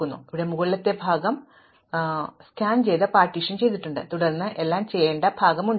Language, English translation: Malayalam, Then, I am going to have the upper part here, these are the elements I have already scanned and partitioned and then I have the part that is to do